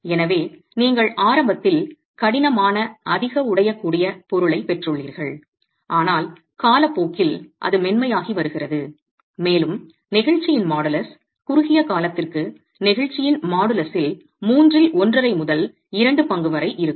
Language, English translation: Tamil, So, you've got a stiffer, more brittle material initially but over time it's becoming softer and the modulus of elasticity is going to be about one half to two thirds of the modulus of elasticity for the short term itself